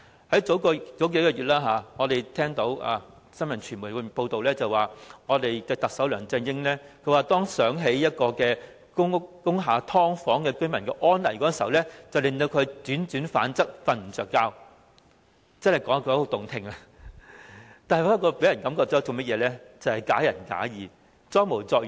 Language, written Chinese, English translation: Cantonese, 數月前，我們聽到傳媒報道，指特首梁振英說當想起工廈"劏房"居民的安危時，令他輾轉反側，無法入眠，說得很動聽，但給人的感覺卻是"假仁假義、裝模作樣"。, A few months ago it was reported in the media that Chief Executive LEUNG Chun - ying could not sleep when he thought of the dangers faced by residents of subdivided units in factory buildings . His words were pleasant to the ears but people have the impression that he was just shedding crocodile tears